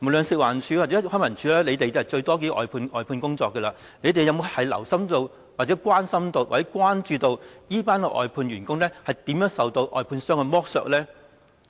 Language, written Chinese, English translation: Cantonese, 食環署或康文署判出最多外判工作，他們有否留心、關心或關注這些外判員工如何受到外判商的剝削呢？, FEHD and LCSD outsource the most work have they paid attention to cared about or shown concern about how contractors exploit these outsourced workers?